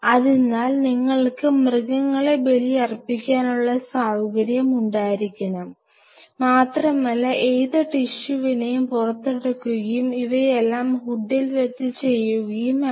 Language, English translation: Malayalam, So, you have to have an animal sacrificing facility and you take the tissue out whatever concern tissue and now you have to do everything in the hood